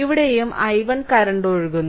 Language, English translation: Malayalam, So, here also that i 1 current is flowing